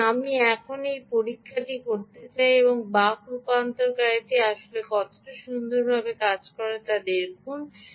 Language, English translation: Bengali, so now lets do this experiment and see a how nicely this ah buck converter is actually working